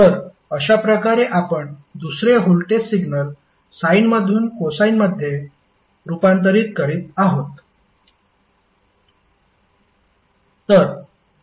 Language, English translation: Marathi, So, in this way you are converting the second voltage signal from sine to cosine